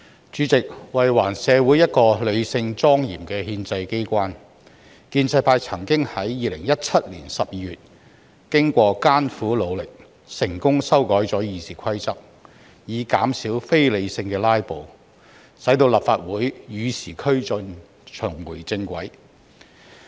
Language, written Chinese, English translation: Cantonese, 主席，為還社會一個理性、莊嚴的立法機關，建制派曾於2017年12月經艱苦努力，成功修改了《議事規則》，以減少非理性的"拉布"，使立法會與時俱進，重回正軌。, President in order to bring a rational and solemn legislature back to society the pro - establishment camp succeeded in amending RoP in December 2017 after spending a lot of efforts with a view to reducing irrational filibusters so that the Legislative Council could keep abreast of the times and be back on the right track